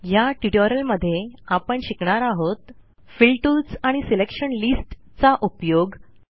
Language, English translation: Marathi, In this tutorial we will learn about: Speed up using Fill tools and Selection lists